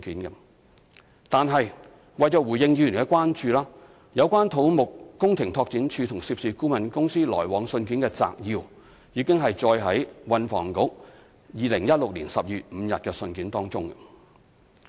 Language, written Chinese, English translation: Cantonese, 然而，為回應議員的關注，有關土木工程拓展署與涉事顧問公司往來信件的摘要已載於運輸及房屋局2016年12月5日的信件內。, Nevertheless in order to address Members concern a summary of the correspondence between CEDD and the consultant involved had been enclosed in the letter of the Transport and Housing Bureau dated 5 December 2016